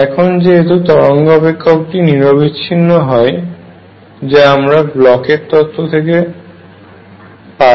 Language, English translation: Bengali, Now, since the wave function is continuous this is by Bloch's theorem, let me write that this is by Bloch's theorem